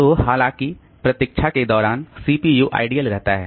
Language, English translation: Hindi, So, while waiting the CPU is idle